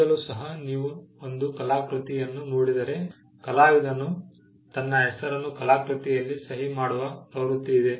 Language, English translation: Kannada, Even now, if you look at a work of art, there is a tendency for the artist to sign his or her name in the piece of art